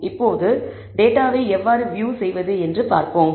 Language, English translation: Tamil, Now let us see how to view the data